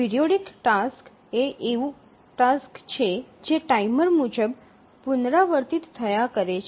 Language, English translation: Gujarati, A periodic task as the name says, the tasks recur according to a timer